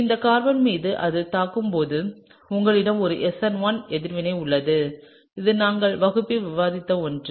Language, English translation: Tamil, And so, when it attacks on this carbon, you have an SN1’ reaction, okay so, this is something that we have discussed in class